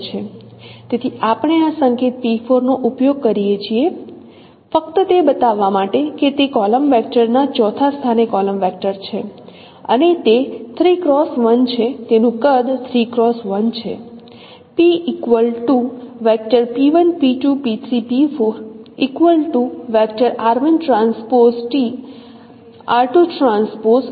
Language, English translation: Gujarati, So we use this notation P4 just to show that it is a column vector at the fourth position of the column vector and it is a three cross one